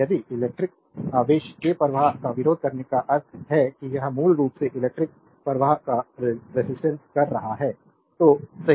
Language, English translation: Hindi, If you resisting the flow of electric charge means it is basically resisting the flow of current, right